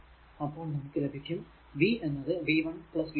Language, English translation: Malayalam, So, plus v 2 so, minus 5 plus v 1 plus v 2 is equal to 0